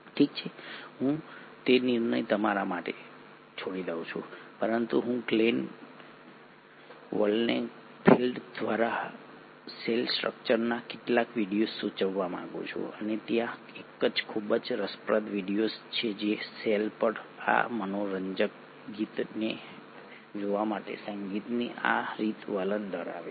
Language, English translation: Gujarati, Well I leave that decision for you to make but I would like to suggest a few videos, and there is a very interesting the ones who are musically inclined to just look at this fun song on cell and cell structure by Glenn Wolkenfeld